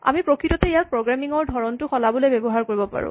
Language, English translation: Assamese, We can actually use it to change our style of programming